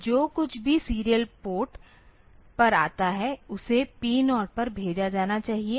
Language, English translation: Hindi, So, whatever comes on the serial port that should be sent to P 0